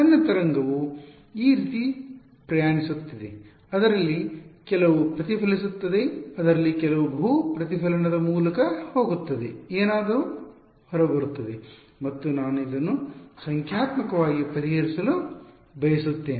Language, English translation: Kannada, My wave is travelling like this, some of it will get reflected some of it will go through multiple reflection will happen something will come out and I want to solve this numerically right